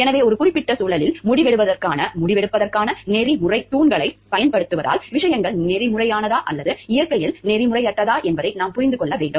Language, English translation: Tamil, So, in a given context applying the ethical pillars of decision making, we need to understand whether things are ethical or not ethical in nature